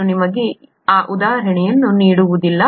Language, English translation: Kannada, Let me not give you that example